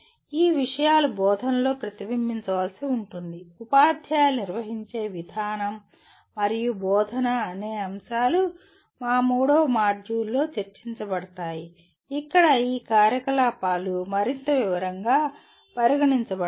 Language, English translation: Telugu, These things will have to get reflected in the instruction, the way the teachers handle and instruction will be our third module where these activities will be taken up for more detailed considerations